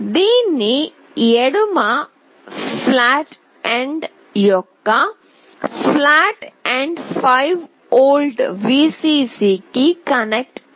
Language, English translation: Telugu, The flat end of this the left pin should be connected to 5 volt Vcc